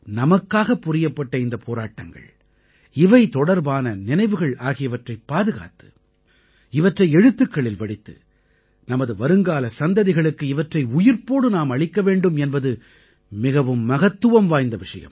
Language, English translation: Tamil, Hence it is very important that we preserve the saga of their struggles for our sake and their memories and for this we can write about them to keep their memories alive for generations to come